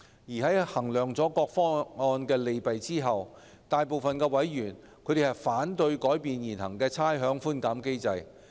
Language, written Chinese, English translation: Cantonese, 在衡量各方案的利弊後，財經事務委員會大部分委員反對改變現行的差餉寬減機制。, Having taken into account the pros and cons of the options most members of the Panel on Financial Affairs objected to modifying the existing rates concession mechanism